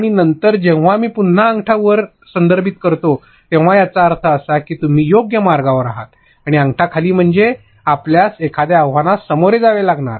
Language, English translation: Marathi, And also later on when I refer to thumps up again, it will mean a good way to proceed; and the thumbs down would mean a challenge that you may face